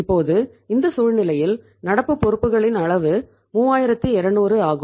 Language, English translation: Tamil, Now in this situation the extent of current liabilities is 3200